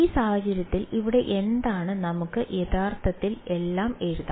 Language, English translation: Malayalam, So, in the in this case over here what is let us just actually write it all out